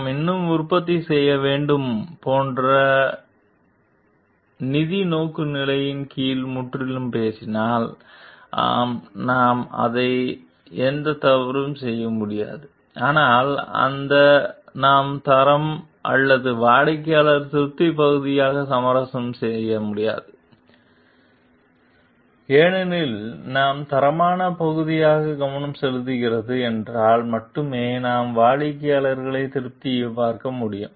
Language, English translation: Tamil, So, if you talk totally under financial orientation like we have to produce more; yes, we can do nothing wrong in it, but for that, we cannot compromise on the quality or customer satisfaction part because, if we are focusing on the quality part then only we can look to the customer satisfaction